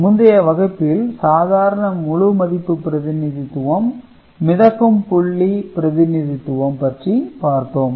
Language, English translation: Tamil, In the previous class, we have seen the normal integer representation fixed point representation